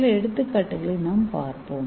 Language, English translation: Tamil, So let us see some example